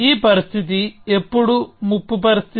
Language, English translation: Telugu, When is this situation a threatening situation